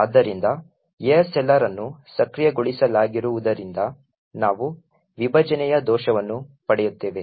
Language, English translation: Kannada, So, because ASLR is enabled therefore we get a segmentation fault